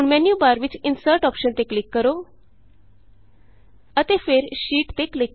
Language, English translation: Punjabi, Now click on the Insert option in the menu bar then click on Sheet